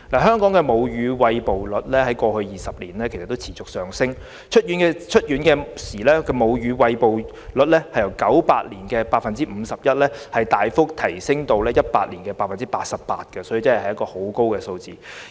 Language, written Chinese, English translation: Cantonese, 香港的母乳餵哺率在過去20年持續上升，出院時的母乳餵哺率由1998年的 51% 大幅提升至2018年的 88%， 這個比率確實很高。, Hong Kongs breastfeeding rate has continued to rise in the past 20 years . The breastfeeding rate on hospital discharge has risen significantly from 51 % in 1998 to a really high rate of 88 % in 2018